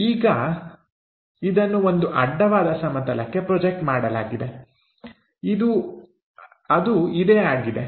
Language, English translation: Kannada, Now, this one projected onto a horizontal plane that is this